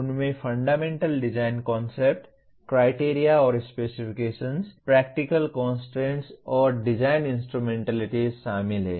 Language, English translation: Hindi, They include Fundamental Design Concepts, Criteria and Specifications, Practical Constraints, and Design Instrumentalities